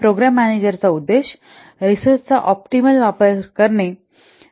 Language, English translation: Marathi, The objective of program manager is to optimize to optimal use of the resources